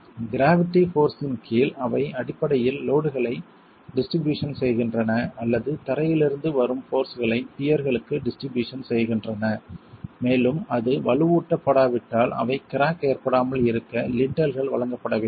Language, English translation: Tamil, Under gravity they are basically distributing the load, the loads or the forces coming from the floor to the peers and have to be provided with lintels so that if it is unreinforced they don't crack